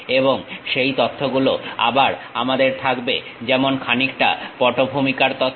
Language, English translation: Bengali, And those information again we will have something like a background information